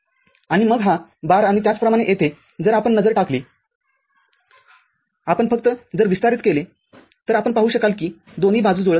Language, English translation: Marathi, And then this bar and similarly over here if you just look at if you just expand it you will see the the both side do not match